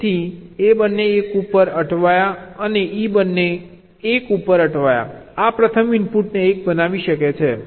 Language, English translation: Gujarati, so both a stuck at one and e stuck at one can make this first input as one